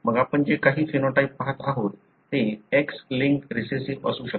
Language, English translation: Marathi, Then you can call that, whatever the phenotype that you are looking at could be X linked recessive